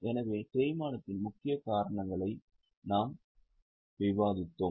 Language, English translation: Tamil, So we have just discussed the major causes of depreciation